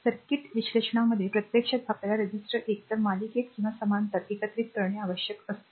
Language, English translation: Marathi, So, in circuit analysis, actually it then actually we have to need to combine the resistor, either in series or parallel occurs frequently, right